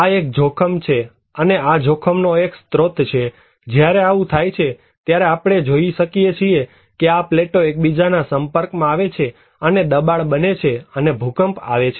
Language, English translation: Gujarati, this is one hazard and when this is the source of the hazards and when this happen and this happens, we can see that these plates come in contact with each other and the pressure builds up an earthquake occurs